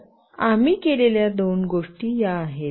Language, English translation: Marathi, So, these are the two things that we have done